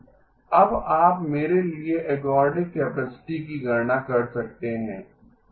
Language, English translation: Hindi, Now can you compute for me the ergodic capacity